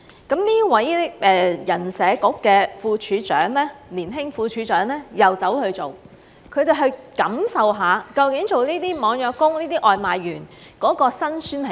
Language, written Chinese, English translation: Cantonese, 那麼這位人社局的年輕副處長又去做，去感受一下究竟做這些網約工、外賣員的辛酸是甚麼。, This young deputy head of the Human Resources and Social Security Bureau also worked undercover as a deliveryman to get a taste of the hardship of a gig worker and deliveryman